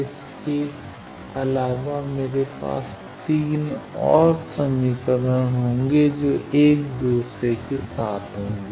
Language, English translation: Hindi, Also I will have 3 more equations that 1 with the other